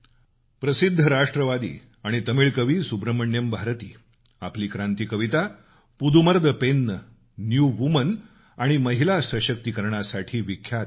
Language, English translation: Marathi, Renowned nationalist and Tamil poet Subramanya Bharati is well known for his revolutionary poem Pudhumai Penn or New woman and is renowned for his efforts for Women empowerment